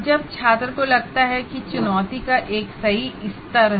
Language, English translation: Hindi, And then the student feels there is a right level of challenge